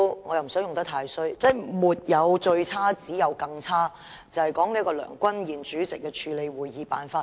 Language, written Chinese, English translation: Cantonese, 我也不想說得太過分，但原來沒有最差，只有更差，說的是主席梁君彥議員處理會議的手法。, I do not wish to go too far in my remarks but I have come to realize that there is no such thing as the worst for things can be worse than the worst . I am referring to the approach of the President Mr Andrew LEUNG when he presided over meetings